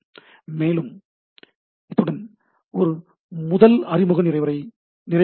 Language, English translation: Tamil, So, with this, let us compute our this first introductory lecture